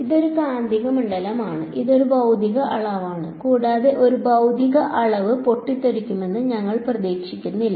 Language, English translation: Malayalam, It is a magnetic field, it is a physical quantity and we do not expect a physical quantity to blow up